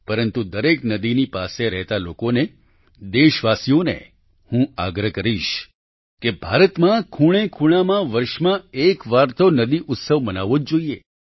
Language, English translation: Gujarati, But to all people living near every river; to countrymen I will urge that in India in all corners at least once in a year a river festival must be celebrated